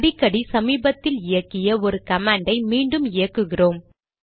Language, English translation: Tamil, Often we want to re execute a command that we had executed in the recent past